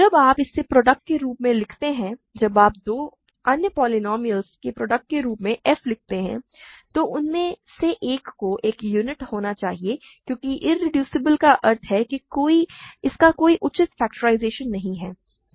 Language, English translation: Hindi, When you write it as a product of; when you write f as a product of two other polynomials, one of them must be a unit because irreducible means it has no proper factorization